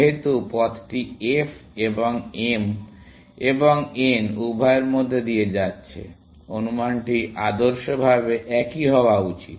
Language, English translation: Bengali, Since, the path is going through both f, and both m and n, the estimate should be ideally the same